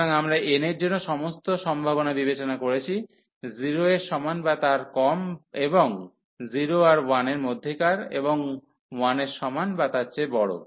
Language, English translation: Bengali, So, we have considered all the possibilities for n, and less than equal to 0 and between 0 and 1 and greater than equal to 1